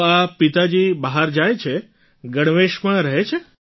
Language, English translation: Gujarati, So your father goes out, is in uniform